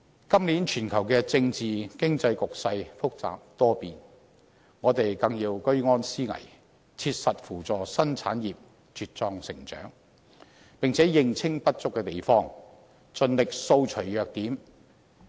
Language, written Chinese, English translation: Cantonese, 今年全球政治及經濟局勢複雜多變，我們更要居安思危，切實扶助新產業茁壯成長，並且認清不足之處，盡力掃除弱點。, Against the backdrop of a complicated and volatile global political and economic scene this year we must keep vigil in times of safety take practical steps in nurturing the vigorous growth of new industries on top of recognizing and endeavouring to overcome our own weaknesses